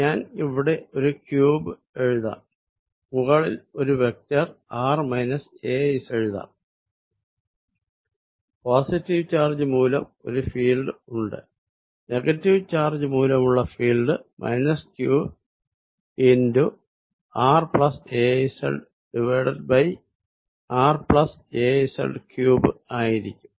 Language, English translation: Malayalam, I will write a cube here and a vector r minus ‘az’ on the top, there is a field due to the positive charge and that due to negative charge is going to be minus q r plus ‘az’ over r plus ‘az’ cubed